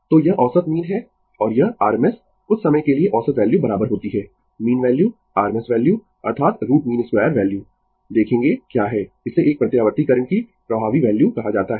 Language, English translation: Hindi, So, this is average mean and this RMS for sometimes average value is equal to mean value RMS value that is root mean square value will see what is this is called effective value of an alternating current